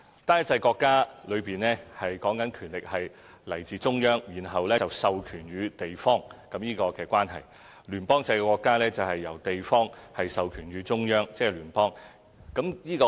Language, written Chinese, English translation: Cantonese, 單一制國家的權力來自中央，然後授權予地方；聯邦制國家則由地方授權予中央，即是聯邦。, In a unitary state the central government is the source of power and it delegates its power to local governments . In a federal state it is the local governments which delegate their powers to the central government